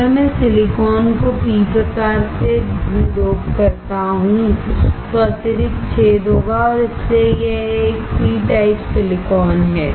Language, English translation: Hindi, If I dope the silicon with p type then there will be excess hole and that is why it is a p type silicon